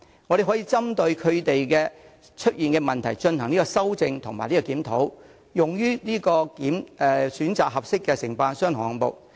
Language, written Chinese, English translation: Cantonese, 我們可以就外判服務制度所導致的問題進行修正及檢討，並用作選擇合適的承辦商和項目。, We can correct and review the problems caused by the service outsourcing system and the results thus obtained can be used for choosing suitable contractors and projects